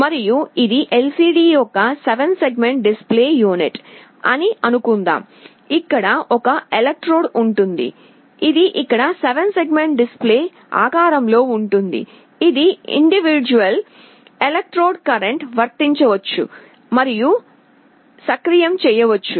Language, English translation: Telugu, And let us assume that it is a 7 segment display unit of LCD, there will be an electrode, which will be here which will be in the shape of a 7 segment display, this individual electrodes can be applied a current and activated